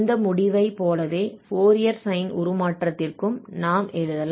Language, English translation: Tamil, And similar to this result, we can also write down for Fourier sine transform